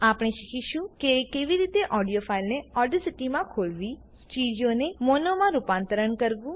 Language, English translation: Gujarati, We will learn how to open an audio file in audacity convert a stereo file to mono